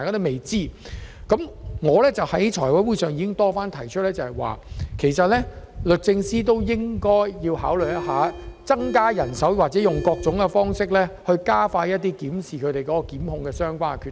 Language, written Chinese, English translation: Cantonese, 就此，我已在財委會會議上多番建議律政司考慮增加人手，或以各種方式加快檢視其檢控決定。, In view of this at the FC meetings I had repeatedly advised the Department of Justice to consider increasing its manpower or expediting the making of prosecution decisions by other means